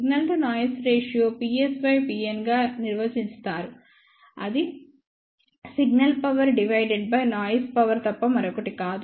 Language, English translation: Telugu, Signal to noise ratio is defined as P s divided by P n which is nothing but signal power divided by noise power